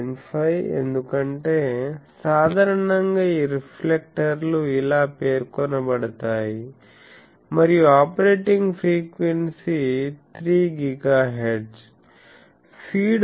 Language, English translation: Telugu, 5 because generally, this reflectors are specified like this and frequency operating, frequency is 3 GHz